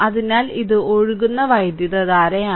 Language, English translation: Malayalam, So this is the current flowing